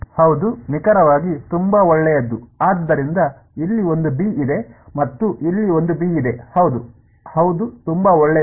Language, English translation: Kannada, Yeah exactly very good, so there is a b over here and there is a b over here yeah very good